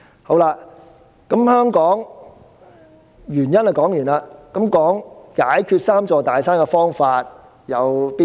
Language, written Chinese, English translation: Cantonese, 說過原因後，我便談談解決"三座大山"的方法。, Having mentioned the causes I would like to talk about the ways to deal with the three big mountains